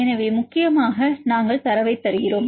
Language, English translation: Tamil, So, mainly we give the data